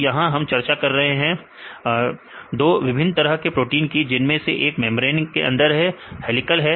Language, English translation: Hindi, So, here you have discussed 2 different types of membrane proteins right this one you see the inside the membrane, this is helical right